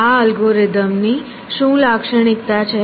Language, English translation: Gujarati, What is the characteristic of this algorithm